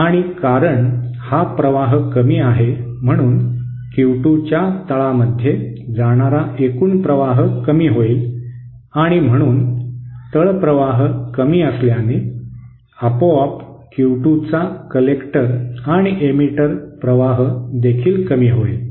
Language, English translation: Marathi, And because now this it current is less, the total current going into the base of Q 2 will also be less and so since the base current is low, automatically the collector and emitter current of Q 2 will also reduce